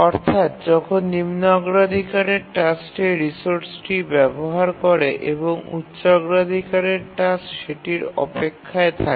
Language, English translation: Bengali, If a higher priority task is using a resource, the lower priority task need to wait